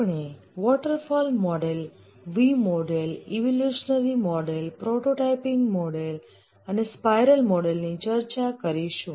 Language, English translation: Gujarati, We'll discuss about the waterfall, V model, evolutionary prototyping spiral model